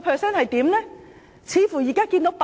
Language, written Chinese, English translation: Cantonese, 影響似乎已經浮現。, The impact seems to have surfaced